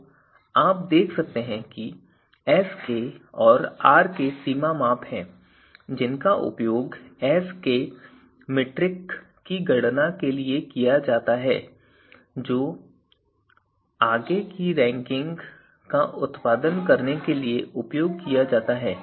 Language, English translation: Hindi, So, you can see when we talked about that Sk and Rk are kind of boundary measures and to be used later on for the you know for the metric that we are going to use to produce the ranking so which is Qk